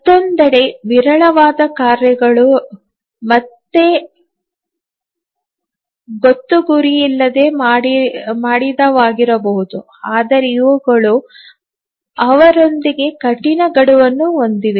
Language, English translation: Kannada, On the other hand there may be sporadic tasks which are again random but these have hard deadlines with them